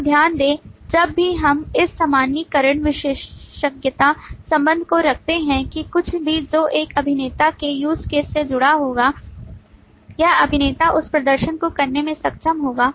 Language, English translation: Hindi, Mind you, whenever we put this generalization, specialization, relationship that anything that this actor will be associated within the use case, this actor would be able to perform that